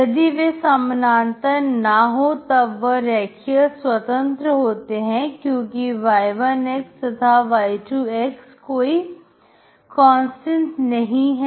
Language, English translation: Hindi, If they are not parallel then they are linearly independent because y1, and y2 is not a constant